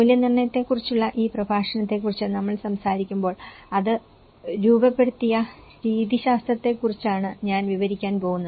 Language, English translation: Malayalam, When we talk about this lecture on the assessment, I am going to describe about the methodology it has been framed